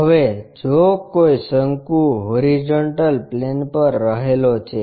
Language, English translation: Gujarati, Now, if a cone is resting on a horizontal plane